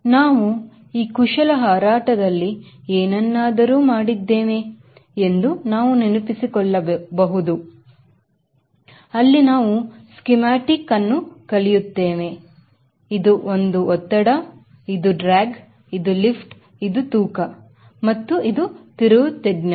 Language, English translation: Kannada, and we can also recall we have done something on maneuvering flight where you, we draw the schematic and this with thrust, this is drag, this is lift and this is width and this is radius of turn